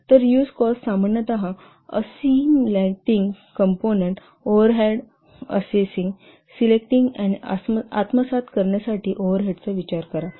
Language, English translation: Marathi, So the reuse cost normally, reuse cost considers overhead of assessing, selecting and assimilating component